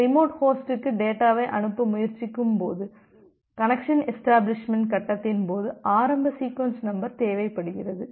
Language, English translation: Tamil, The initial sequence number is required during the connection establishment face, when you are trying to send data to a remote host